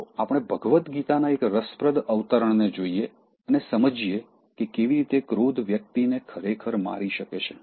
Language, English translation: Gujarati, Let us look at an interesting quote from Bhagavad Gita and how it shows that anger can actually kill a person